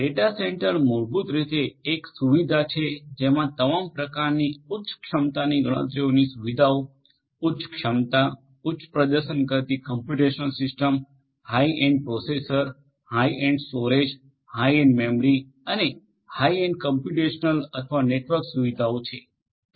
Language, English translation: Gujarati, Data centre is basically a facility which has lot of high capacity computational facilities of all kinds high capacity, high performing computational systems having, high end processor, high end storage, high end memory and also high end computational or network facilities